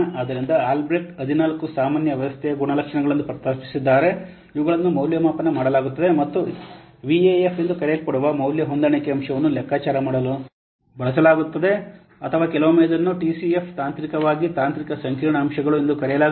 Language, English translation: Kannada, So now I'll best had proposed 14 general system characteristics these are evaluated and used to compute a value adjustment factor known as VAF or sometimes it is known as TCF, technically technical complexity factors